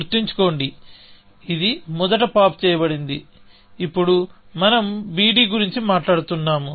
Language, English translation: Telugu, Remember, this was popped out first, and now, we are talking about on b d